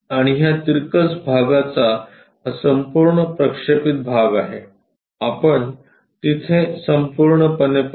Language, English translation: Marathi, And this entire part projected version of this inclined one, we will see all the way there